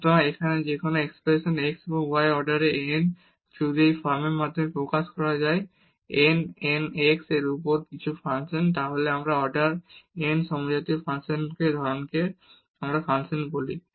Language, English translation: Bengali, So, any expression here in x and y of order n, if it can be expressed in this form that x power n n some function of y over x then we call such a function of homogeneous function of order n